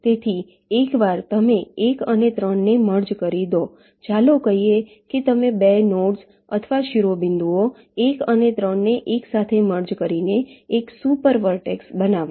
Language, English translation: Gujarati, so once you merge one and three, lets say you merge the two nodes or vertices, one and three together to form a one super vertex